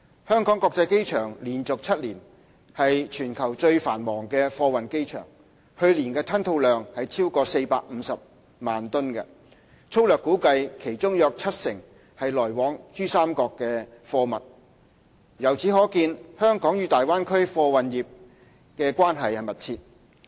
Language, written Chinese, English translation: Cantonese, 香港國際機場連續7年為全球最繁忙的貨運機場，去年吞吐量超過450萬噸，粗略估計其中約七成為來往珠三角的貨物。由此可見，香港與大灣區貨運業關係密切。, The Hong Kong International Airport HKIA is the worlds busiest cargo airport for seven consecutive years and its air freight throughput exceeded 4.5 million tonnes last year of which 70 % was roughly estimated to have originated from or been destined for PRD demonstrating the close connection of the freight industries in Hong Kong and the Bay Area